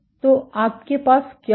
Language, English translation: Hindi, So, what you will have